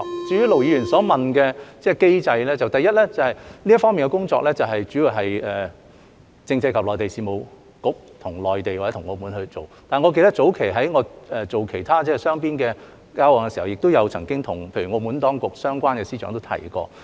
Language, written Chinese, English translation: Cantonese, 至於盧議員所問的機制，第一，這方面的工作主要是由政制及內地事務局與內地或澳門進行，但我記得早前在我做其他雙邊的交往時，亦曾經與例如澳門當局相關的司長提及。, As for the mechanism Ir Dr LO enquired about firstly the work in this regard is carried out mainly by the Constitutional and Mainland Affairs Bureau together with the Mainland or Macao but I remember having also mentioned this topic to for instance the relevant Secretaries of the Macao authorities during other bilateral engagements earlier on